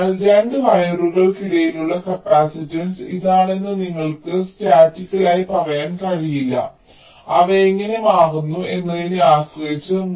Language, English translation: Malayalam, so you cannot statically say that the capacitance between two wires is this depending on how they are switching